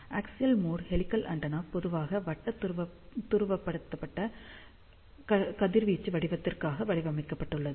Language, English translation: Tamil, Axial mode helical antenna is generally designed for circularly polarized radiation pattern